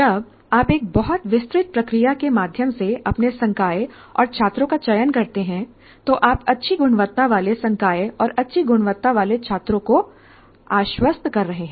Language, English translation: Hindi, When you select your faculty and students through very elaborate process, then you are assuring good quality faculty and good quality students